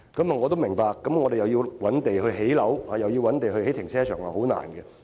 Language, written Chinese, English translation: Cantonese, 我也明白，我們既要覓地建屋，又要覓地興建停車場，實在很困難。, I appreciate the Governments difficulties in identifying land sites to satisfy both the needs for housing development and car park construction